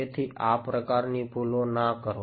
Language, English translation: Gujarati, So, do not make that mistake